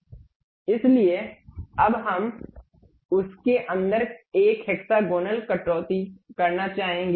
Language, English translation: Hindi, So, now we would like to have a hexagonal cut inside of that